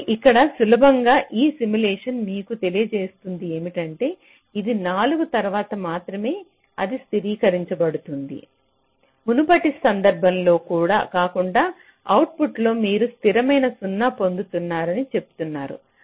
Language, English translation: Telugu, ok, so here you can easily see, this simulation will tell you that only after four it is getting stabilized, unlike the earlier case where you are saying that in output you are getting a constant zero